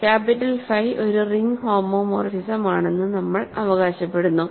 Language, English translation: Malayalam, Now, capital phi is a ring homomorphism